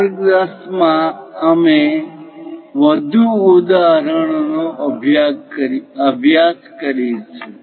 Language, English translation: Gujarati, In lecture 10, we will practice more examples